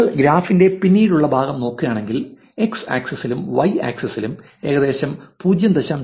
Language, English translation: Malayalam, If you look at the later part of the graph on the x axis and in the y axis which is about 0